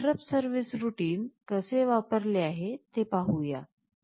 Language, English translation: Marathi, Let us see how this interrupt service routine is mentioned